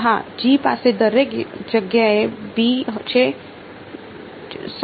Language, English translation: Gujarati, Yeah G has a b everywhere that is right